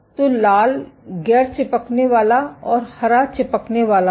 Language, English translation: Hindi, So, red is non adherent and green is adherent